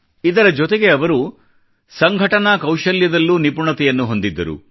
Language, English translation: Kannada, Along with that, he was also adept at organising skills